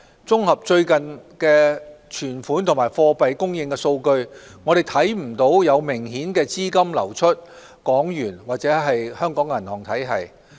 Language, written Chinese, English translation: Cantonese, 綜合最近的存款和貨幣供應數據，我們看不到有明顯資金流出港元或香港銀行體系。, There was no noticeable outflow of funds from the Hong Kong dollar or from the banking system based on the latest statistics on deposits and money supply